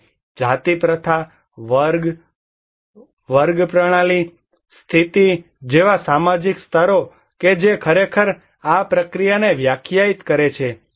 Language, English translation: Gujarati, And social stratifications like caste system, class system, the status that all actually define this process